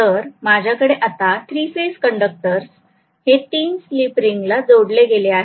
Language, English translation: Marathi, So I have 3 phase conductors being connected to 3 slip rings